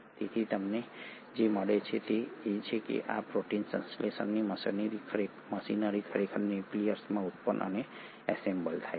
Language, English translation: Gujarati, So what you find is that this protein synthesising machinery is actually produced and assembled in the nucleolus